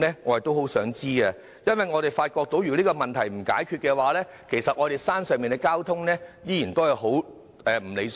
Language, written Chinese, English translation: Cantonese, 我很想知道，因為我們發覺如果不解決這個問題，九龍東山上的交通仍然很不理想。, I really want to know because we observe that if this problem is not resolved the traffic conditions in the uphill areas of East Kowloon will remain unsatisfactory